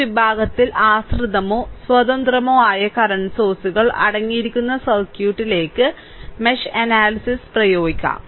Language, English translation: Malayalam, So, in this section we will apply mesh analysis to circuit that contain dependent or independent current sources, right